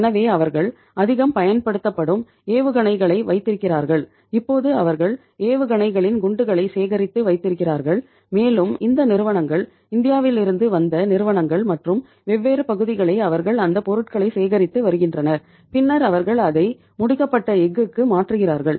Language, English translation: Tamil, So they have so much used missiles and say that much type of the you can call it as the shells of the missiles now they have collected and they have means these companies maybe companies from India and different parts they are collecting that material and then they are supplying it to convert that into the finished steel